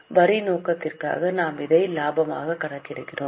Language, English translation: Tamil, For the tax purpose we calculate separate profit